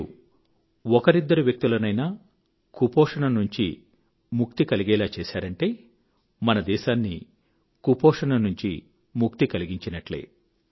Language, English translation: Telugu, If you manage to save a few people from malnutrition, it would mean that we can bring the country out of the circle of malnutrition